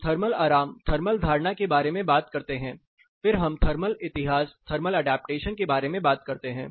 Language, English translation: Hindi, Then we will talk about thermal adaptation and what the factors behind thermal adaptation